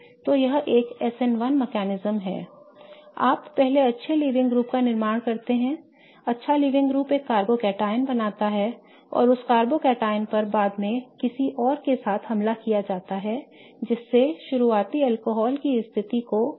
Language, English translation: Hindi, You first formed the good living group, the good living group left forming a carbocotion and that carbocotion was later attacked with something else that substituted the position of the starting alcohol